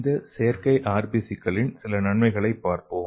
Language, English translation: Tamil, So how to make this artificial RBC